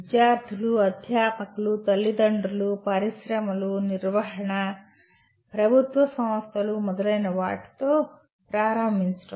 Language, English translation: Telugu, To start with the students, faculty, the parents, industries, management, government agencies and so on